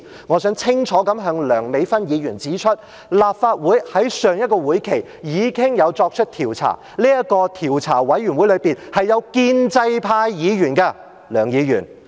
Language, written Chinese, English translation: Cantonese, 我想清楚向梁美芬議員指出，立法會在上一個會期已經作出調查，而這個調查委員會中，也有建制派議員在席的。, I would like to clearly point out to Dr Priscilla LEUNG that the Legislative Council already conducted an investigation in the last session and there were also pro - establishment camp Members in the commission of inquiry